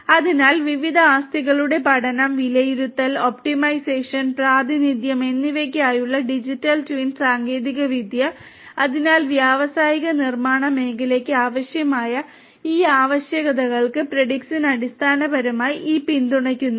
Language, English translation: Malayalam, So, Digital Twin technology for learning, estimation, optimization and representation of different assets, so Predix basically has many of these support for many of these requirements that are there for industrial manufacturing sectors